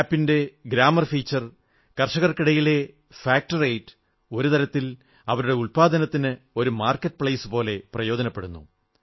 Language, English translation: Malayalam, This App is very useful for the farmers and the grammar feature of the App and FACT rate among the farmers functions like a market place for their products